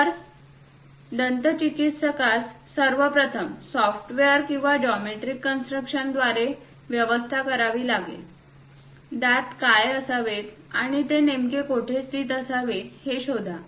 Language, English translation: Marathi, So, a dentist has to arrange, first of all, construct either through software or geometric construction; locate what should be the teeth and where exactly it has to be located